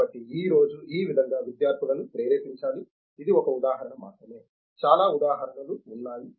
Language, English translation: Telugu, So, like this today the students should be motivated for this is only one example, many examples are there